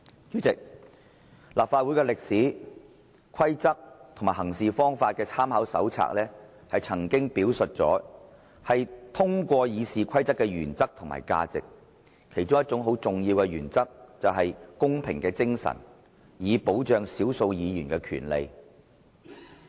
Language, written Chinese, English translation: Cantonese, 主席，立法會歷史、規則和行事方法的參考手冊曾經表述過，是通過《議事規則》的原則和價值，其中一個很重要的原則就是，公平精神，以保障少數議員的權利。, President A Companion to the history rules and practices of the Legislative Council of the Hong Kong Special Administrative Region Companion illustrates the values and principles of RoP . One of the key principles is the spirit of fairness . This is essential to the protection of the rights of minority Members